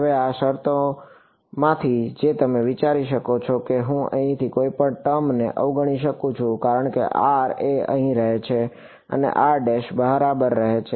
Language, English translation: Gujarati, Now from these terms which can you think I can ignore anyone term from here given that r lives over here and r prime lives outside